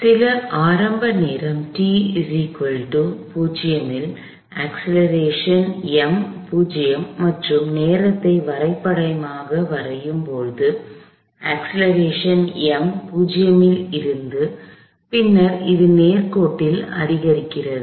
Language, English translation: Tamil, At some initial time t equal to 0, so for prop the acceleration was as time at some initial time t equals 0, the acceleration is 0 and then it increases linearly